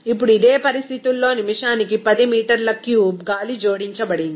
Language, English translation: Telugu, Now to this 10 meter cube per minute of air is added at the same conditions